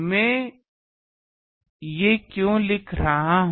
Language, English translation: Hindi, Why I am writing these